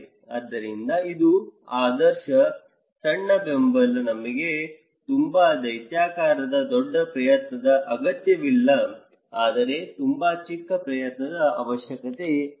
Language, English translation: Kannada, So, this is the ideal the small, small support, we do not need a very gigantic bigger effort but very small